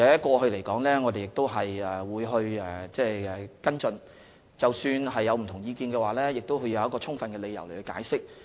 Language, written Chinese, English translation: Cantonese, 過去我們亦曾跟進有關個案，即使有不同意見，也會提出充分理由加以解釋。, We have followed up similar cases in the past and even though we had divergent views we would try to explain with solid reasons